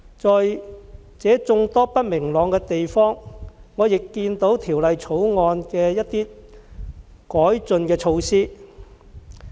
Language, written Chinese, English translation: Cantonese, 即使存在眾多不明朗的地方，我仍看到《條例草案》的一些改進的措施。, Even if there are still many uncertainties I still think that the Bill contains a number of improvement measures